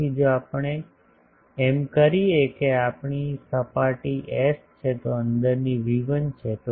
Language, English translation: Gujarati, So, if we do that this is our surface S the inside is V1